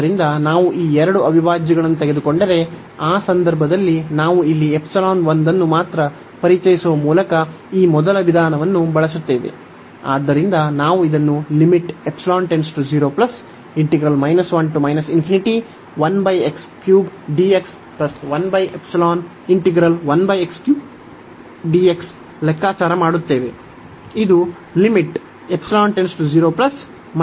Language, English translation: Kannada, So, if we take these two integrals, in that case if we use this first approach by introducing only one epsilon here